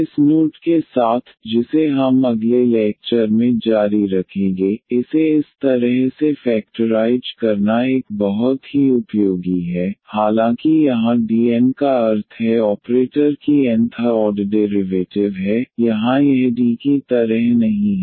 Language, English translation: Hindi, So, with this note here which we will continue in the in the next lecture it is a very useful to factorize this in this in this way though here D n means the operator which have which is the nth order derivative here it is not like D power n, but it is like the nth order derivative when we apply to this y